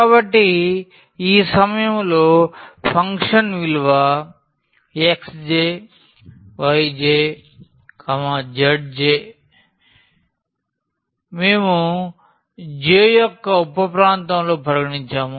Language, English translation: Telugu, So, the function value at this point x j, y j, z j which we have considered in j’th sub region